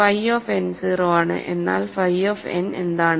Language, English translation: Malayalam, So, phi of n is 0, but what is phi of n